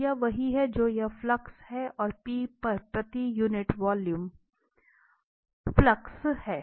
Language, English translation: Hindi, So, this is what we have this flux, and the flux per unit volume at P